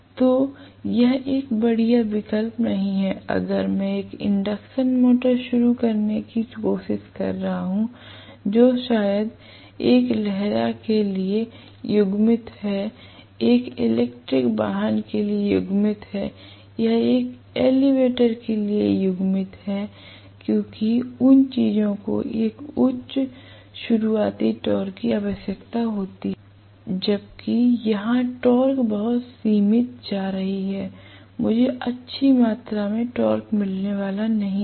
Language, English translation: Hindi, So it is not a great option if I am trying to start an induction motor which is probably coupled to a hoist, coupled to an electric vehicle or coupled to an elevator because those things require a high starting torque, whereas here the torque is going to be very very limited, I am not going to get a good amount of torque